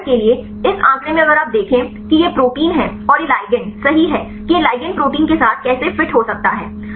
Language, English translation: Hindi, For example, in this figure here if you see this is the protein and this the ligand right how this ligand can fit with the protein